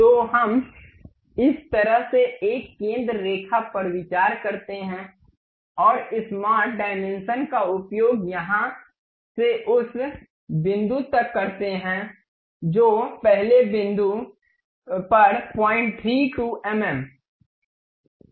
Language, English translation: Hindi, So, let us consider a center line in this way and use smart dimension from here to that first point it is 0